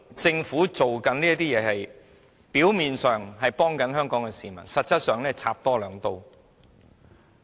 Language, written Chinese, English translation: Cantonese, 政府表面上是幫助香港市民，實際上是多插兩刀。, On the face of it the Government is trying to help Hong Kong people but in fact it is twisting the knife in the wound